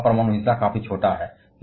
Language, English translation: Hindi, And their nuclear share is quite small